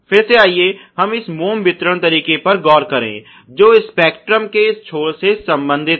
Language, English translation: Hindi, Obviously, again let us look back into this wax dispensing system is related to this end of the spectrum